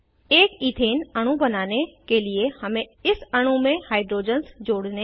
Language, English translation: Hindi, We have to add hydrogens to this molecule to create an ethane molecule